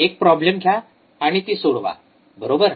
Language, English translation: Marathi, Take a problem and solve it, right